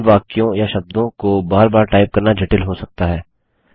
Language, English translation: Hindi, It can be cumbersome to type these sentences or words again and again